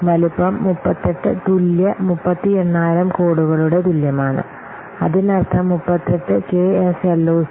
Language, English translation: Malayalam, Size is equal to 38 kLOC, that means 38 KSLOC